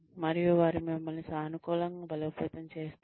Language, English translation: Telugu, And, they positively reinforce you